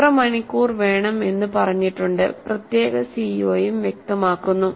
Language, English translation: Malayalam, So how many hours that is specified and the CO is also specified